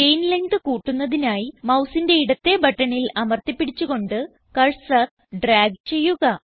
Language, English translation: Malayalam, To increase the chain length, hold the left mouse button and drag the cursor